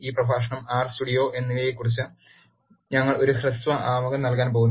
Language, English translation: Malayalam, This lecture, we are going to give a brief introduction about R and Studio